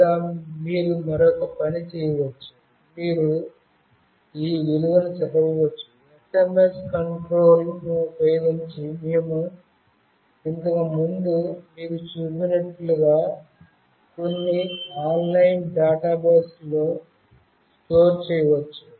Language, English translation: Telugu, Or, you can do another thing, you can read this value, store it in some online database as we have shown you earlier using the SMS control